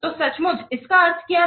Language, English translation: Hindi, So, literary what is meaning